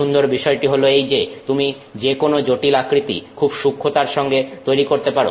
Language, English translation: Bengali, The nice thing is you can create complex shapes in a very accurate way